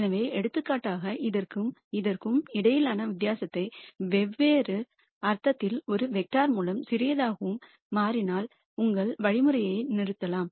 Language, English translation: Tamil, So, for example, you could say the difference between this and this, in a vector of different sense, if that is becoming smaller and smaller then you might stop your algorithm